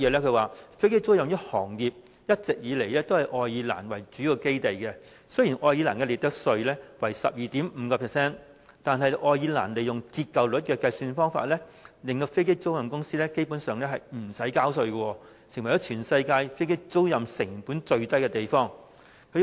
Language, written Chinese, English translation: Cantonese, 他還說，飛機租賃這行業一直以來都是以愛爾蘭為主要基地，雖然愛爾蘭的利得稅為 12.5%， 但愛爾蘭利用折舊率的計算方法，令飛機租賃公司基本上無須交稅，成為全世界飛機租賃成本最低的地方。, He also said that Ireland had been the major operating base of aircraft leasing business . He explained that Irelands profits tax rate was 12.5 % but the inclusion of a depreciation rate in tax computation could basically rid aircraft lessors of any tax payment thus turning Ireland into the place with the lowest operating cost for aircraft leasing business